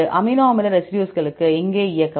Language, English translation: Tamil, Run the amino acid residues here